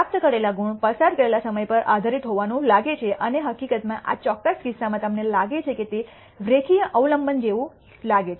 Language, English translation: Gujarati, The marks obtained seem to be dependent on the time spent and in fact, in this particular case you find that it looks like a linear dependency